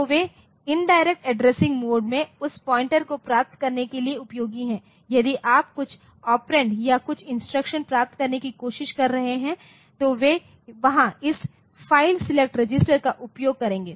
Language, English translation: Hindi, So, they are useful for getting that pointer so, you can in an in indirect addressing mode if you are trying to get some operand or some instruction so, they there will be using this file select register